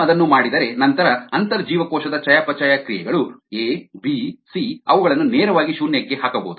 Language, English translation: Kannada, if we do that, then the intracellular metabolite sorry, abc, they can be directly put to zero